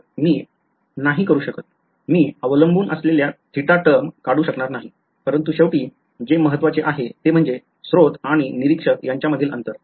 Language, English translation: Marathi, So, I cannot; I would not have been able to remove the theta dependent terms ok, but finally, all that matters is; all that matters is this distance, the distance between the source and the observer alright